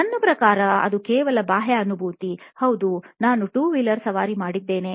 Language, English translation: Kannada, I mean that was just external empathy, yes I did ride a 2 wheeler